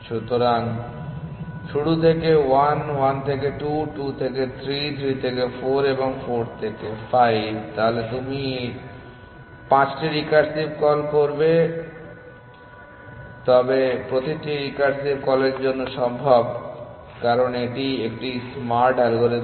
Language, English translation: Bengali, So, from start to 1, 1 to 2, 2 to 3, 3 to 4 and 4 to 5, so you will make 5 recursive calls, but for each of the recursive calls is possible because it is a smart algorithm